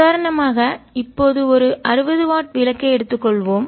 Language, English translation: Tamil, as example one now, let us take a sixty watt bulb